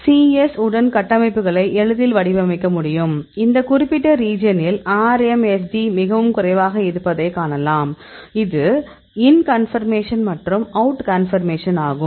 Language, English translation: Tamil, So, then we can easily model the structures with the c yes, you can see the RMSD is very less at this particular region; this is the in conformation and this out conformation